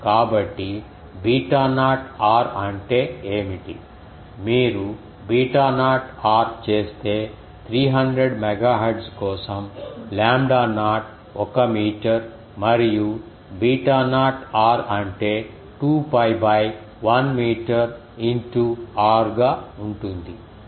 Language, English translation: Telugu, So, what is beta naught r, if you do beta naught r ah because the lambda naught for 300 megahertz will be lambda naught is one meter and beta naught r that will be 2 pi by 1 meter into r